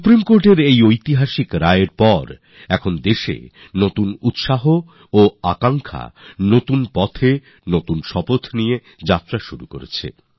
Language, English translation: Bengali, After this historic verdict of the Supreme Court, the country has moved ahead on a new path, with a new resolve…full of new hopes and aspirations